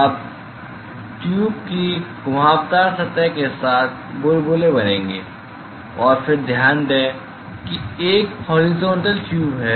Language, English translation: Hindi, Now, the bubbles will form along the curved surface of the tube, and then note that this is a horizontal tube right